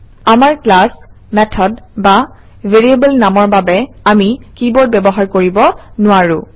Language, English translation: Assamese, We cannot use keywords for our class, method or variable name